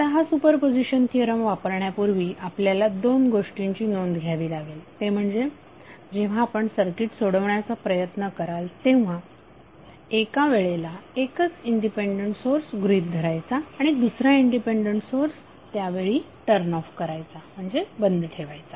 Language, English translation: Marathi, Now before applying this super position theorem we have to keep 2 things in mind that when you try to solve the circuit you will consider only one independent source at a time while the other independent sources are turned off